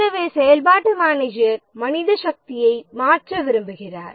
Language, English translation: Tamil, So, the functional manager would like to shift manpower